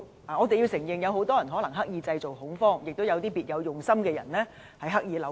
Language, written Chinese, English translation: Cantonese, 我們須承認有很多人可能是刻意製造恐慌，也有一些別有用心的人刻意扭曲。, We must admit that many people may be creating panic deliberately and some people with ulterior motives may be creating distortions deliberately